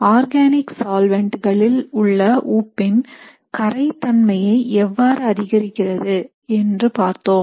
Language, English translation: Tamil, We had also looked at how crown ethers can be used to improve solubility of salts in organic solvents